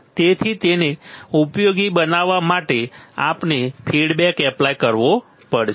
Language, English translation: Gujarati, So, to make it useful we have to apply we have to apply feedback